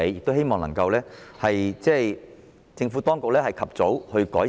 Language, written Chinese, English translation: Cantonese, 我希望政府當局能夠及早加以改善。, I hope the Government can introduce further improvement as early as possible